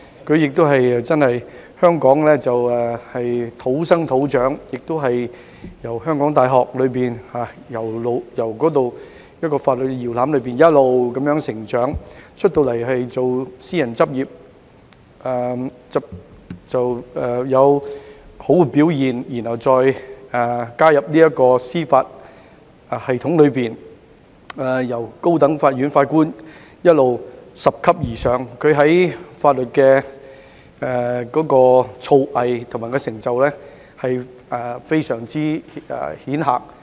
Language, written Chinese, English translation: Cantonese, 他在香港土生土長，從香港大學這個法律搖籃一直成長，在私人執業時亦有良好表現，然後加入司法系統，由高等法院法官一直拾級而上，在法律的造詣及成就非常顯赫。, Born and raised in Hong Kong he started developing as a legal professional in the University of Hong Kong which is known for nurturing legal talents . He also did well in private practice before joining the judiciary system . After taking the first step as a High Court Judge he then moved up the judicial ladder with proven extraordinary legal skills and achievements